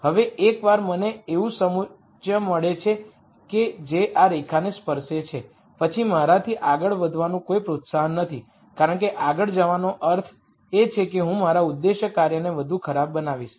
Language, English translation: Gujarati, Now once I find a contour like that which touches this line then there is no incentive for me to go further beyond because going further beyond would mean I would be making my objective function worser